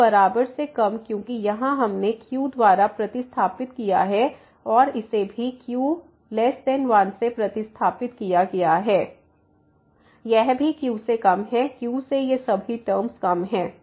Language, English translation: Hindi, So, less than equal to because here we have replace by and this one is also replace by though it is a less than 1 this is also less than all these terms are less than